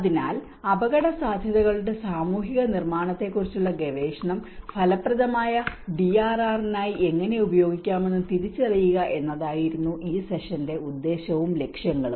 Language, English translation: Malayalam, So, the purpose and objectives of this session were to identify how research on social construction of risks can be used for effective DRR